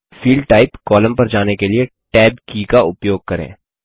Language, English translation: Hindi, Use the Tab key to move to the Field Type column